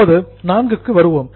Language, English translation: Tamil, Now, let us get to 4